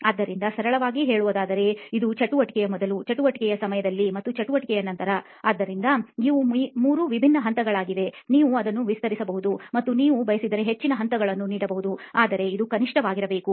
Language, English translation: Kannada, So to simply put it, it is before the activity, during the activity and after the activity, so these are three distinct phases and you can be, you can even expand on it and give it more phases if you like but this is the bare minimum